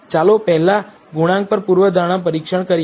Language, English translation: Gujarati, So, first let us do the hypothesis test on coefficients